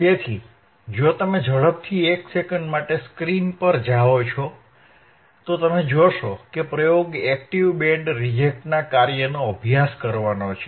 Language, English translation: Gujarati, So, if you quickly go to the screen for a second, you will see that the experiment is to study the working of active band reject filter active band reject filter